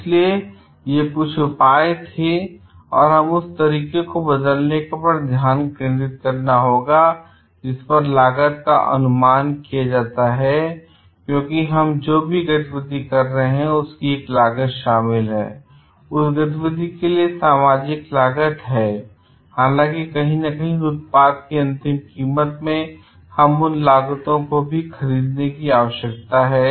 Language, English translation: Hindi, And also, so, these were some of the measures and we have to focus on changing the way that the costing is done also because for whatever activity that we are doing there is a cost involved in it and the social cost for activity is there and though somewhere in the end price of the product, we need to in buy those cost also